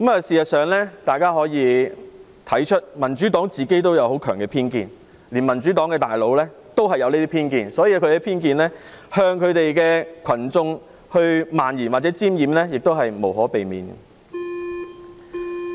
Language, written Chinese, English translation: Cantonese, 事實上，大家可以看到民主黨有很強的偏見，連他們的高層也有這些偏見，因此，他們向群眾渲染這種偏見也是無可避免。, In fact we can see that members of the Democratic Party even its senior members have strong prejudices . Thus it is inevitable that they will disseminate these prejudices to the public in an exaggerated manner